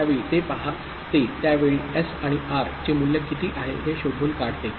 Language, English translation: Marathi, At that time, it sees it finds what is the value of S and R at that time